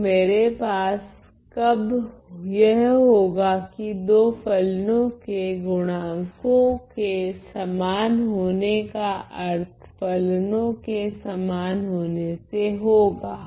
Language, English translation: Hindi, So, when can I have that the coefficients going equal implying for two functions implying that the functions are equal